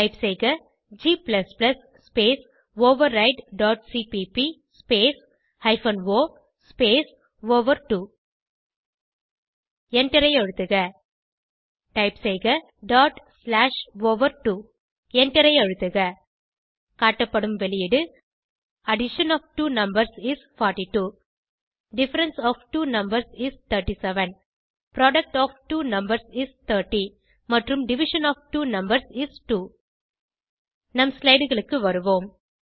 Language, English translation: Tamil, Type: g++ space override dot cpp space hyphen o space over2 Press Enter Type: dot slash over2 Press Enter The output is displayed as: Addition of two numbers is 42 Difference of two numbers is 37 Product of two numbers is 30 and Division of two numbers is 2 Let us switch back to our slides